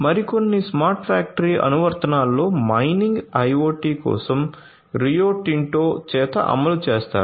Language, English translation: Telugu, So, some other smart factory applications include the implementation of IoT by Rio Tinto for mining